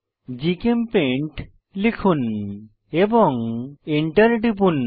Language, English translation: Bengali, Type GChemPaint and press Enter